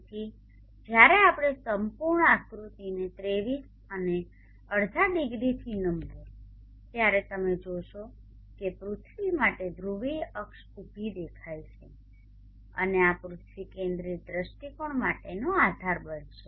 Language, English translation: Gujarati, So when we till the entire figure by 23 and half degrees you see that the polar ax for the earth appears vertical and this will become the base is for the earth centric view point